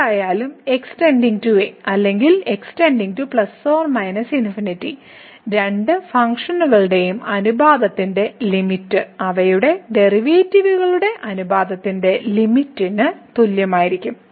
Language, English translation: Malayalam, In either case whether goes to or goes to plus minus infinity the limit of the ratio of the two functions will be equal to the limit of the ratios of their derivatives